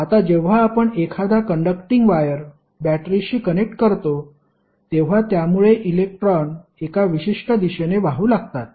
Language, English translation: Marathi, Now, when you are connecting a conducting wire to a battery it will cause electron to move in 1 particular direction